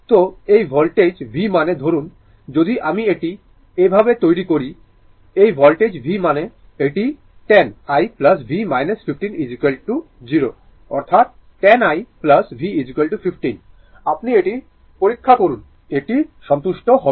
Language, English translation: Bengali, So, this voltage v means suppose if I make it like this, this voltage v means it is 10 i plus v minus 15 is equal to 0; that means 10 i plus v is equal to 15; you check it, it will be satisfied right